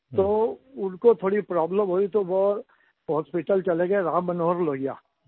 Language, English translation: Hindi, Feeling a health problem, He went to Ram Manohar Lohiya hospital